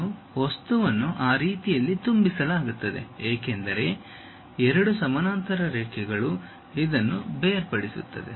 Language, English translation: Kannada, And material is filled in this way, because two parallel lines separated by this